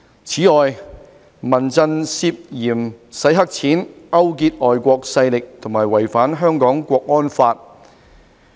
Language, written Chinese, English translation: Cantonese, 此外，民陣涉嫌洗黑錢、勾結外國勢力和違反《香港國安法》。, Moreover CHRF has been suspected of laundering money colluding with foreign forces and violating the National Security Law for Hong Kong